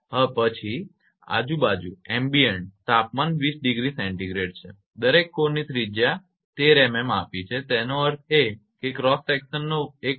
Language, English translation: Gujarati, Then ambient temperature is 20 degree Celsius radius of each core it is given 13 millimetre; that means, 1